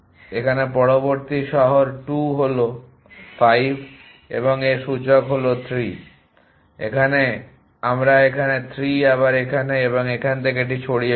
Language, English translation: Bengali, The next city here 2 are 5 and its indexes 3 here we right 3 here again and remove this from here